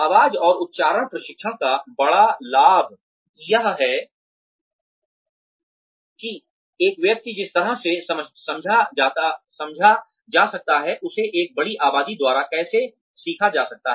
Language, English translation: Hindi, The big benefit of voice and accent training is that, one is able to learn how to speak in a manner that one can be understood, by a larger population of people